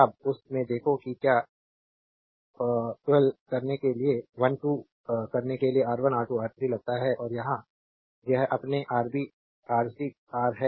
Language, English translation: Hindi, Now look into that that your what you call your 1 2 suppose R 1, R 2, R 3 and here it is your Rb, Rc, Ra right